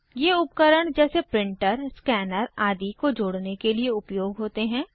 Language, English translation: Hindi, These are used for connecting devices like printer, scanner etc